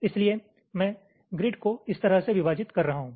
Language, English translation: Hindi, so i am splitting the grid like this